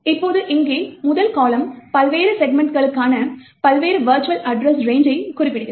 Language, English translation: Tamil, Now this particular column present here specifies the various virtual address ranges for the various segments